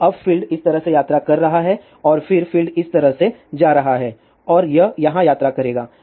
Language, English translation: Hindi, So, now, the field is travelling like this and then field will be going like this and it will travel here